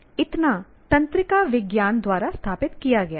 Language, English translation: Hindi, That much has been established by neuroscience